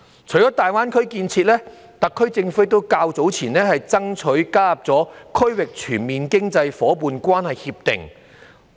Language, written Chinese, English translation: Cantonese, 除了大灣區建設，特區政府較早前亦爭取加入《區域全面經濟伙伴關係協定》。, Apart from participating in the GBA development the SAR Government did strive for accession to the Regional Comprehensive Economic Partnership RCEP earlier on